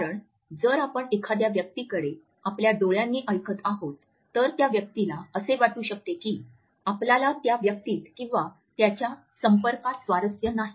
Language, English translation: Marathi, Because if we are listening to a person with our eyes ever did the other person feels that we are not interested either in the person or the contact